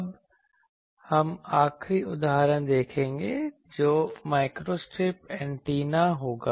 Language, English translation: Hindi, Now, we will see the last example that will be microstrip antenna